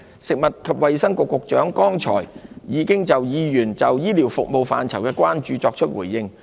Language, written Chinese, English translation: Cantonese, 食物及衞生局局長剛才已就議員對醫療服務範疇的關注作出回應。, The Secretary for Food and Health has responded to Members concern on areas relating to health care services just now